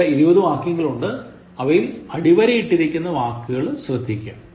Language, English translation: Malayalam, There are 20 sentences and look at the words which are underlined